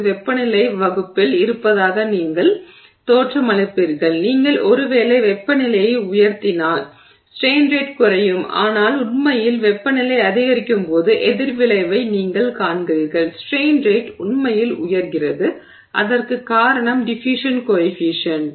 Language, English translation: Tamil, You would, it looks like because the temperature is in the denominator, if you raise the temperature perhaps the strain rate will come down but actually you see the opposite effect as the temperature rises the strain rate actually goes up and that is because of the diffusion coefficient